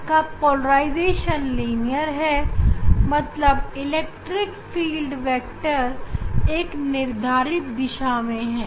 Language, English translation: Hindi, It has only one direction linear direction polarization, ok, electric field vectors in a particular direction